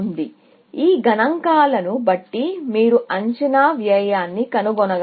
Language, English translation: Telugu, So, given these figures, can you find an estimated cost